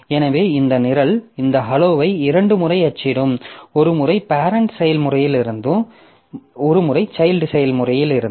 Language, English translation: Tamil, So, this program so it will be printing this hello twice once from the parent process, once from the child process